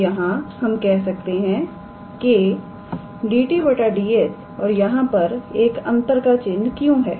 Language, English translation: Hindi, So, from here we can say that; so dt ds and why there is a minus sign